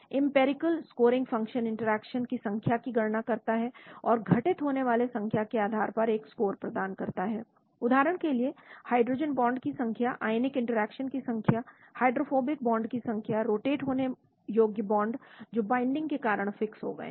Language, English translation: Hindi, Empirical scoring function count the number of interactions and assign a score based on the number of occurrence, for example number of hydrogen bonds, number of ionic interactions, number of hydrophobic bonds, number of rotatable bonds which got frozen because of binding